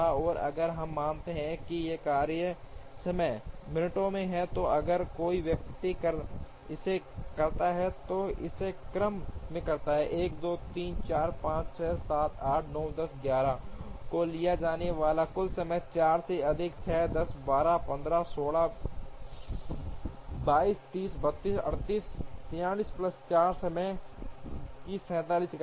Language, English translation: Hindi, And if we assume that these tasks times are in minutes, then if one person does it and does it in the order 1 2 3 4 5 6 7 8 9 10 11, then the total time that will be taken is 4 plus 6 10 12 15 16 22 30 32 38 43 plus 4, 47 units of time